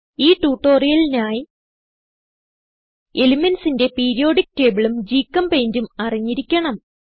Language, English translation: Malayalam, To follow this tutorial, you should be familiar with * Periodic table of elements and* GChemPaint